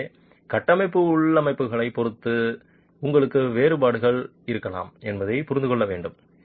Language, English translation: Tamil, So, it is important to understand that depending on the structural configurations you can have differences